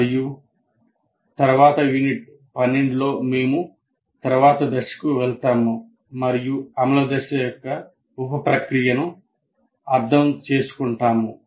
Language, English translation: Telugu, And in the next unit, unit 12, we try to now move on to the next one, the understand the sub process of implement phase